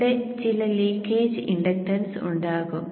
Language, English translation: Malayalam, So there will be some leakage inductance here